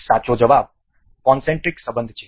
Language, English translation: Gujarati, The correct answer is concentric relation